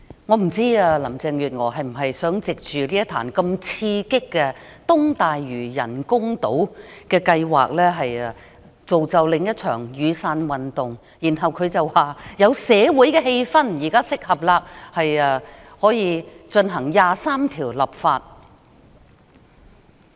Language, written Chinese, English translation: Cantonese, 我不知道林鄭月娥是否想藉着東大嶼人工島計劃刺激市民，造就另一場雨傘運動，然後便可以說現時的社會氣氛適合為《基本法》第二十三條立法。, I do not know whether Carrie LAM is trying to make use of the development of artificial islands off East Lantau to stimulate the public and ferment another umbrella revolution so that she can say that we now have the right social atmosphere to go for the enactment of legislation to implement Article 23